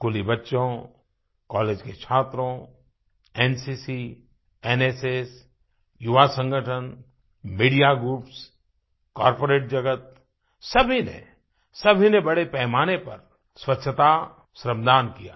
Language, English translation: Hindi, School children, college students, NCC, NSS, youth organisations, media groups, the corporate world, all of them offered voluntary cleanliness service on a large scale